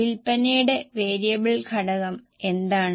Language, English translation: Malayalam, So, what is a variable component of sales